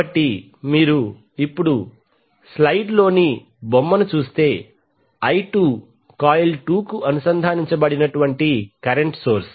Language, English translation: Telugu, So if you see the figure in the slide now I2 is the current source connected to the coil 2